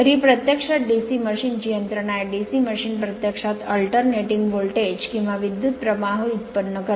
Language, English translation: Marathi, So, this is actually mechanism for your DC machine DC machine actually generates alternating voltage, or current right